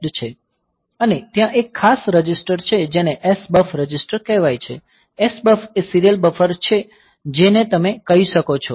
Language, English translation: Gujarati, And there is a special register called SBUF register; so, SBUF is the serial buffer you can say